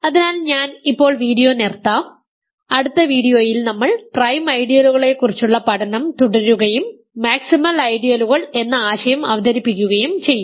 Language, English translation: Malayalam, So, I will stop the video now, in the next video we will continuous study of prime ideals and I will also introduce the notion maximal ideals